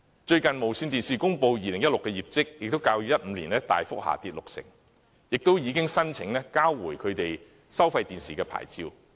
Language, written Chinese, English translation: Cantonese, 最近，電視廣播有限公司公布其2016年業績，也較2015年大幅下跌六成，並已申請交回其收費電視牌照。, The 2016 results just released by the Television Broadcasting Limited sees a 60 % plunge from that of 2015 and the broadcaster has filed an application to surrender its pay television service licence